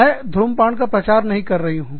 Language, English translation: Hindi, I do not promote smoking